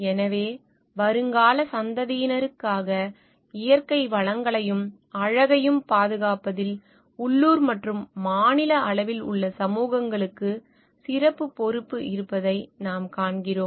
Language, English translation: Tamil, So, what we see that the communities at the local and even state level have special responsibility to conserve natural resources and beauty for the future generations